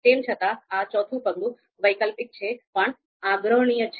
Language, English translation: Gujarati, So this is the fourth step, optional but recommended